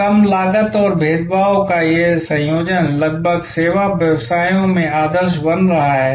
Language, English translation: Hindi, So, this combination of low cost and differentiation is almost becoming the norm in service businesses